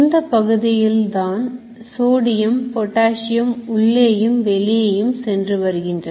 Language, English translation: Tamil, All the sodium potassium is going on in and out